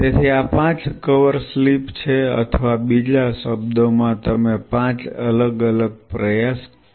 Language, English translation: Gujarati, So, these are five cover slips or in other word you can say 5 different trials